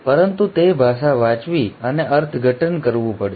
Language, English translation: Gujarati, But that language has to be read and interpreted